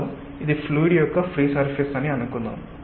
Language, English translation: Telugu, so let us say that this is a free surface of the fluid